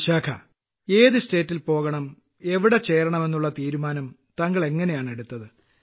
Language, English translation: Malayalam, Ok Vishakha ji, how did you decide on the choice of the State you would go to and get connected with